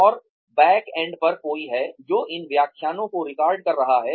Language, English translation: Hindi, And, there is somebody at the backend, who is recording these lectures